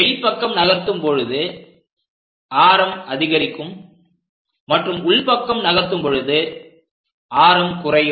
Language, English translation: Tamil, If we are moving outside radius increases, as I am going inside the radius decreases